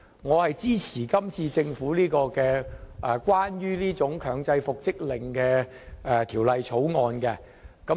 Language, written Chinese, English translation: Cantonese, 我支持政府就強制復職令提出的《條例草案》。, I support the Bill introduced by the Government on the compulsory order for reinstatement